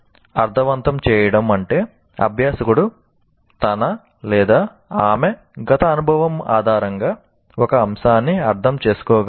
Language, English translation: Telugu, Making sense means the learner can understand an item on the basis of his past experience